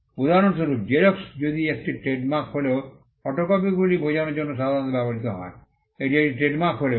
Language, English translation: Bengali, For instance, Xerox though it is a trademark is commonly used to understand photocopies